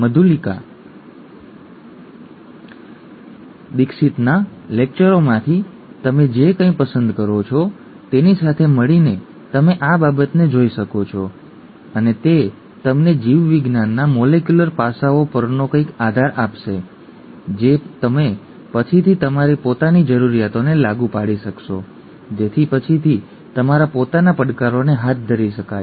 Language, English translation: Gujarati, You could look at this in association with what you pick up from Dr Madhulika Dixit’s lectures, and that would give you some basis on the molecular aspects of biology which you could apply to your own requirements later, to address your own challenges later